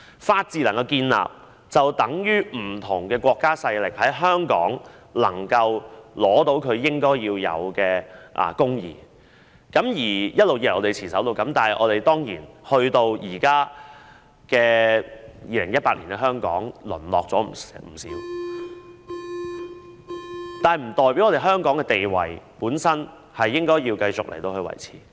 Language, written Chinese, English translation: Cantonese, 法治能夠建立，便等於不同國家勢力在香港能夠取得其應有的公義，這是我們一直以來所持守的，但當然，直至現在2018年，香港已淪落不少，但香港在這方面的地位應該繼續維持。, When the rule of law is established it means that different countries and forces can have access to justice that they deserve in Hong Kong and this is what we have all long striven to uphold . But certainly up to this point in 2018 Hong Kong has degenerated quite considerably but Hong Kongs position in this regard should be continuously upheld